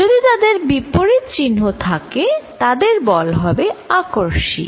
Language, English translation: Bengali, If they are at opposite signs, then force is going to be attractive